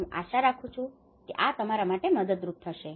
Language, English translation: Gujarati, I hope this is helpful for you